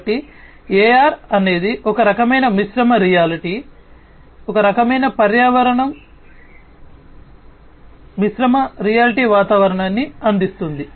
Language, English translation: Telugu, So, AR is some kind of mixed reality kind of environment VR provides mixed reality environment